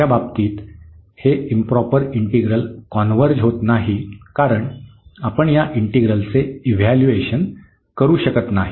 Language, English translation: Marathi, In the second case this integral the improper integral does not converge because we cannot evaluate this integral, ok